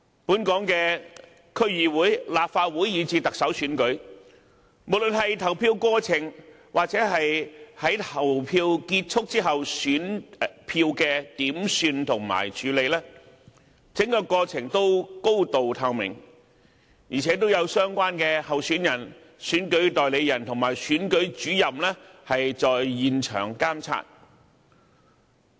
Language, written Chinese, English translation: Cantonese, 本港的區議會、立法會，以至特首選舉，無論是投票過程或在投票結束後選票的點算和處理，整個過程都高度透明，而且都有相關候選人、選舉代理人和選舉主任在現場監察。, For the election of the District Council the Legislative Council and even the Chief Executive of Hong Kong the whole polling process or the counting and handling of ballots after the close of poll is highly transparent and under the monitoring of relevant candidates election agents and Returning Officers at the scene